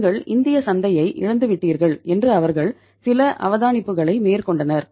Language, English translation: Tamil, They made some observations like that see you have lost the Indian market